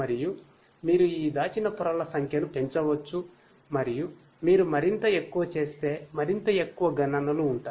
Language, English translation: Telugu, And you know you can increase the number of these hidden layers and the more and more you increase, the more and more computations will be there